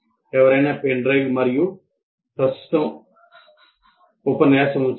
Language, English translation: Telugu, Can someone put the pen drive in and present a lecture